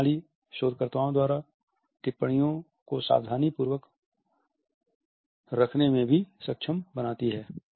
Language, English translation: Hindi, This system also enables the researchers to keep meticulous observations